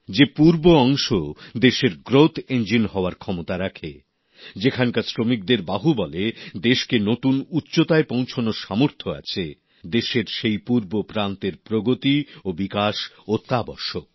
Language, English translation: Bengali, The very region which possesses the capacity to be the country's growth engine, whose workforce possesses the capability and the might to take the country to greater heights…the eastern region needs development